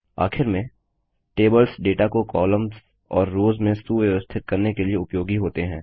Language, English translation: Hindi, Lastly, tables are used to organize data into columns and rows